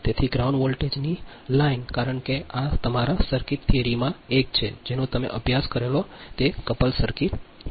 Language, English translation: Gujarati, so the line to ground voltage, because this is a from your circuit theory, your couple circuit you have studied